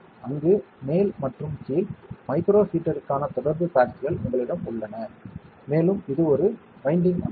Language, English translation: Tamil, And there, at the top and bottom, you have contact pads for the micro heater, and it is a winding structure